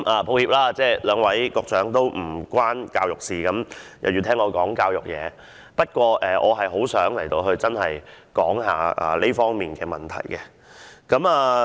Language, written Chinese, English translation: Cantonese, 抱歉，在席兩位局長也與教育事務無關，卻要聆聽我就教育事宜發言，但我真的很想談談這方面的問題。, I am so sorry that the two Secretaries now present in this Chamber actually have nothing to do with education but still have to listen to my speech on this policy area